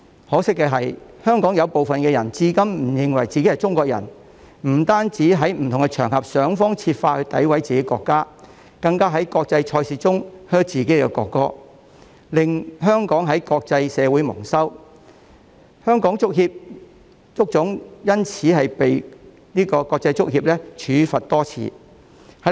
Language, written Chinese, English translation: Cantonese, 可惜，香港有一部分人至今仍不肯承認自己是中國人，不但在不同場合想方設法詆毀自己國家，更在國際賽事中向自己的國歌喝倒采，令香港在國際社會蒙羞，而香港足球總會更因此被國際足球協會多次處罰。, Regrettably some people in Hong Kong still refuse to admit that they are Chinese up to the present . They have not only exhausted every means to discredit their own country but also booed their own national anthem in international competitions . Such acts have brought disgrace to Hong Kong in the international community whereas the Fédération Internationale de Football Association has imposed a fine on the Hong Kong Football Association several times